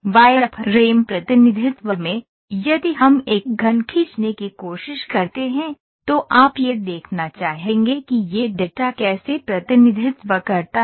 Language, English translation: Hindi, In a wireframe representation, if we try to draw a cube, you would like to see how does this data getting represented